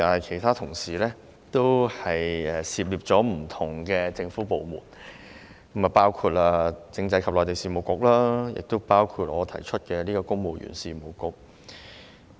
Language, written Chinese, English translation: Cantonese, 其他同事的修正案涉獵不同政府部門，包括政制及內地事務局及我所提修正案關乎的公務員事務局等。, The amendments proposed by other colleagues involved a diversity of government departments including the Constitutional and Mainland Affairs Bureau the Civil Service Bureau to which my amendment relates and so on